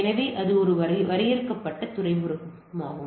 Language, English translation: Tamil, So, that is a defined port